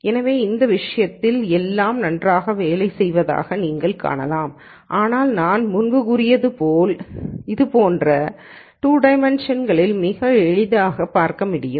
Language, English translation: Tamil, So, you can see that in this case everything seems to be working well, but as I said before you can look at results like this in 2 dimensions quite easily